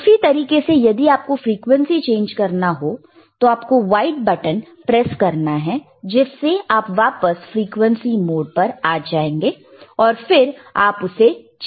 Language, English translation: Hindi, And same way if you want to change the frequency, again press the white button, and you are back to the frequency mode, again you can change the frequency, excellent